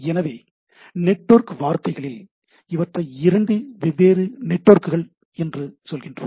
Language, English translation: Tamil, So, I in networks terms, we say these are two different networks